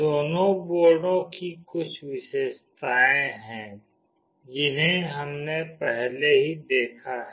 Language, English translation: Hindi, Both the boards has got some features, which we have already seen